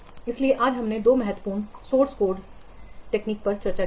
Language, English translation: Hindi, So today we have discussed two important source code review techniques